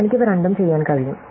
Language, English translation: Malayalam, I can do both of them